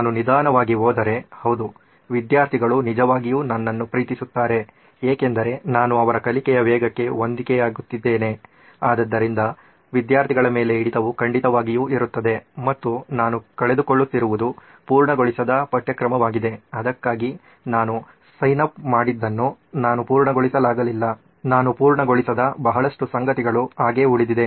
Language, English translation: Kannada, If I go slow, yeah for the student, student actually loves me because I am matching pace with his learning speed so student retention is definitely there it’s a high and what I am losing out on is uncovered syllabus I have not finished what I have signed up for so, I have a lot of stuff that I have not covered